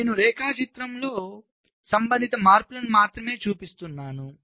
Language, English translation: Telugu, so i am showing the relevant changes in diagram